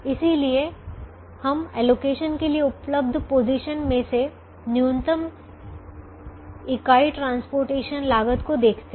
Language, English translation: Hindi, so we look at the minimum unit transportation cost from among the available positions for allocation